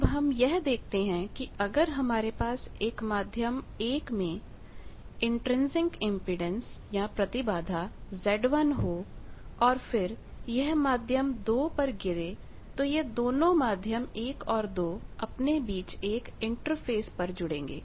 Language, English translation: Hindi, Now, what I said that if you have a medium 1 with intrinsic impedance Z 1 and then it falls on a medium 2, so there is an interface between the medium 1 and 2 where they are joining